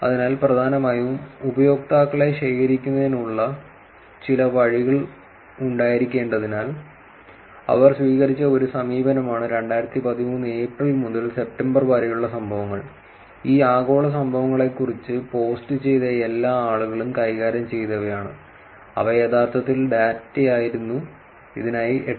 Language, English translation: Malayalam, So, essentially there where they have to be some ways of collecting the users So, one approach that they took is events between April and September, 2013 all the people who posted at about these global events the handles were taken and they were actually the data for these 8